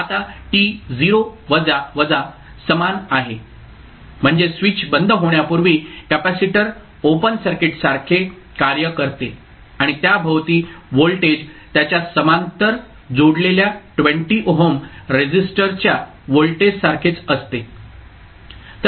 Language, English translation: Marathi, Now at t is equal to 0 minus that means just before the switch is closed the capacitor acts like a open circuit and voltage across it is the same as the voltage across 20 ohm resistor connected in parallel with it